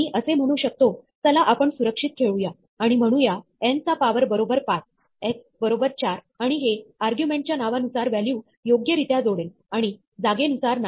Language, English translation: Marathi, I can say, let us just play safe and say power of n equal to 5, x equal to 4 and this will correctly associate the value according to the name of the argument and not according to the position